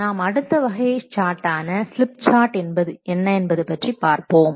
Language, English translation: Tamil, Now let's see the other type of what the chart that is called a slip chart